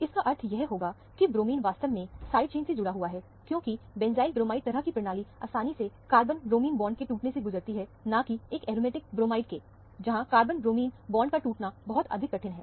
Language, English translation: Hindi, This would imply that, the bromine is actually attached to the side chain, because, the benzyl bromide kind of a system readily undergo the rupture of the carbon bromine bond, rather than an aromatic bromide, where the rupture of the carbon bromine bond is much more difficult